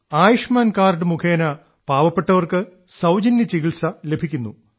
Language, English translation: Malayalam, And there is free treatment for the poor with Ayushman card